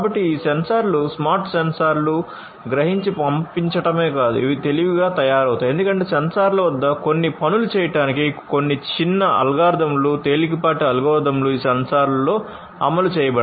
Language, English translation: Telugu, So, not only that these sensors the smart sensors would sense and send, but these would be made intelligent because certain small algorithms lightweight algorithms will be executed in these sensors to do certain tasks at the sensors themselves